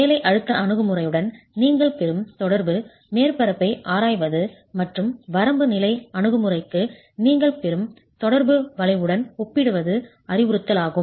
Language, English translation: Tamil, It is instructive to examine the interaction surface that you will get with the working stress approach and compare it to the interaction curve that you will get for the limit state approach